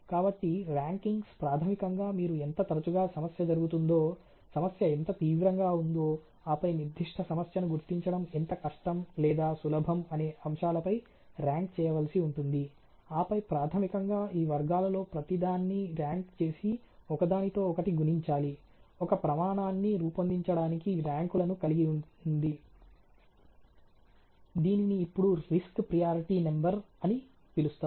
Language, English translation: Telugu, So, the ranking basically would mean that will have to a rank how frequently the problem happen, how sever the problem is and then how difficult or easy it is detect the particular problem, and then basically rank each of these categories and multiple the ranks each other to formulated something, which is now known as the risk priority number ok